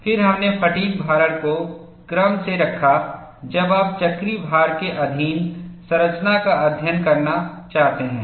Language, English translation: Hindi, Then we graduated for fatigue loading when you want to study structure subject to cyclical load